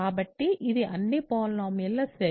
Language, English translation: Telugu, So, it is set of all polynomials